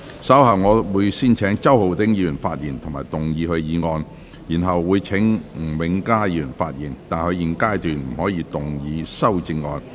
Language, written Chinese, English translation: Cantonese, 稍後我會先請周浩鼎議員發言及動議議案，然後請吳永嘉議員發言，但他在現階段不可動議修正案。, Later I will first call upon Mr Holden CHOW to speak and move the motion . Then I will call upon Mr Jimmy NG to speak but he may not move the amendment at this stage